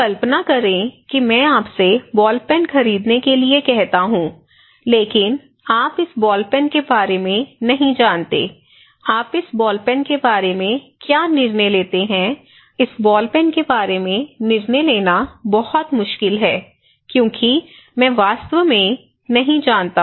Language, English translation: Hindi, Now, imagine then I ask you to buy a ball pen okay, I ask you to buy a ball pen but you do not know about this ball pen, what do you do, how do you make a decision about this ball pen, is it difficult; it is very difficult to make a decision about this ball pen because I really do not know